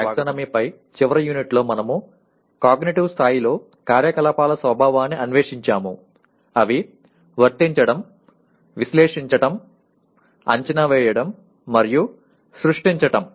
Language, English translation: Telugu, In the last unit on the taxonomy, we explored the nature of activities at cognitive levels, Apply, Analyze, Evaluate and Create